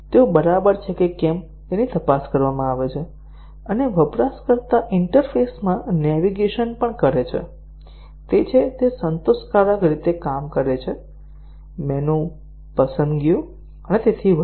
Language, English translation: Gujarati, They are checked whether they are okay, and also navigation in the user interfaces; are it, is it satisfactorily working, menu selections and so on